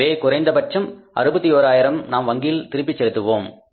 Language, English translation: Tamil, So, at least 61,000 more we will return back to the bank so the balance will be left, right